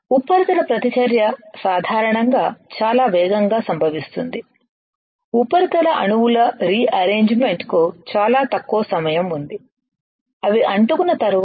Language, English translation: Telugu, Now, surface reactions usually occur very rapidly and there is very little time for rearrangement of surface atoms after sticking